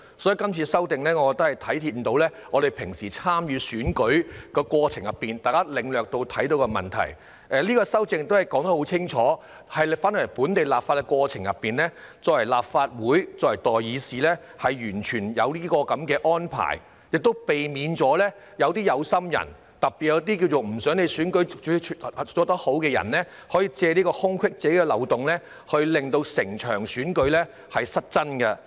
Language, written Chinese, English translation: Cantonese, 所以，今次的修正案反映了大家在平常參與選舉的過程中所領略到和發現的問題，而且修正案作出清楚說明，回到本地立法的過程中，作為立法會、作為代議士，有這樣的安排亦可避免一些"有心人"，特別是一些希望選舉無法順利進行的人，可以藉此空隙和漏洞，令整場選舉終止。, Therefore this amendment reflects the problems that we have perceived and discovered in the usual course of participating in elections . The amendment also makes it clear that coming back to the process of local legislation we are serving in the Legislative Council as representatives of the people such an arrangement can also prevent some people with an ulterior motive especially those who do not want to see the smooth conduct of the election from taking advantage of the loopholes to cause the termination of the entire election